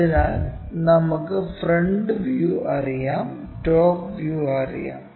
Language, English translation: Malayalam, So, what we know is this top view we know front view we know